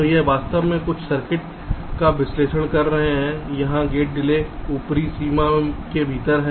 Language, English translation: Hindi, so here, actually we are implicitly analyzing some circuits where gate delays are within some upper bound